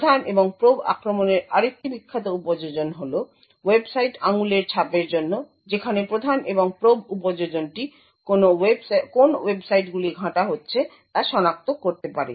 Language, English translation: Bengali, Another famous application of the prime and probe attack was is for Website Fingerprinting where the Prime and Probe application can identify what websites are being browsed